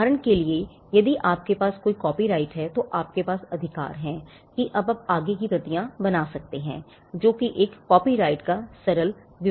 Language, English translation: Hindi, For instance, if you have a copyright then you simply have the right to make further copies now that is a simple explanation of what a copyright is